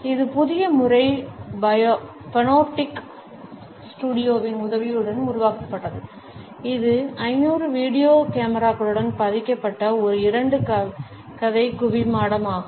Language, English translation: Tamil, This new method was developed with the help of the panoptic studio, which is a two story dome embedded with 500 video cameras